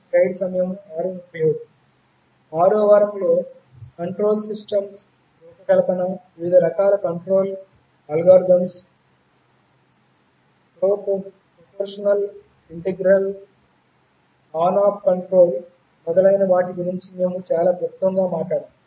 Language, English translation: Telugu, In the 6th week, we very briefly talked about the design of control systems, various kinds of control algorithms – proportional, integral, on off control etc